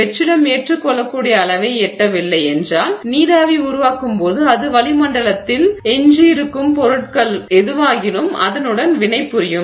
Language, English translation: Tamil, If the vacuum does not reach an acceptable level then as the vapor forms it will react with whatever is left in the atmosphere